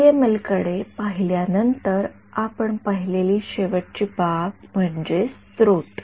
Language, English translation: Marathi, After having looked at PML’s the last aspect that we looked at was sources right